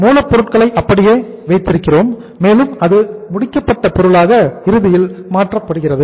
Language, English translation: Tamil, It means we keep the raw material as raw material and that raw material is then finally converted into the finished goods